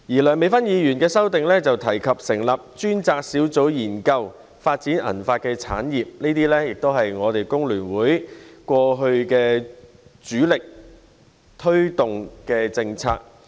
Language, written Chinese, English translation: Cantonese, 梁美芬議員的修正案提及成立專責小組研究發展銀髮產業，這也是工聯會過去主力推動的政策。, Dr Priscilla LEUNGs amendment mentions setting up a task force to study the development of silver hair industries which is a policy FTU has been advocating strongly